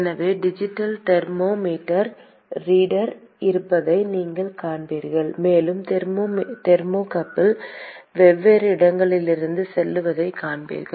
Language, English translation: Tamil, So, you will see there is a digital thermometer reader and you will see thermocouple going from different locations